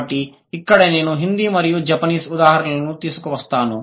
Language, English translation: Telugu, So, here I would bring in the examples of Hindi and Japanese